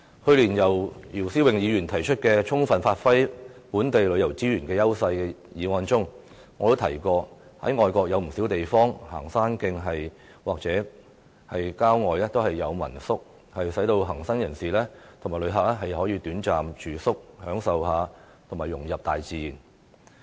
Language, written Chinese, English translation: Cantonese, 去年，姚思榮議員提出"充分發揮本地旅遊資源的優勢"議案，我曾經提到外國不少地方的行山徑或郊外設有民宿，供行山人士和旅客短暫住宿，享受和融入大自然。, Last year Mr YIU Si - wing proposed the motion on Giving full play to the edges of local tourism resources . I mentioned that in many foreign places there are homestay lodgings along the hiking trails or in countryside for hikers and visitors to enjoy a short stay so as to appreciate and assimilate into mother nature